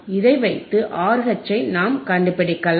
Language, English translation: Tamil, So, we have the R here right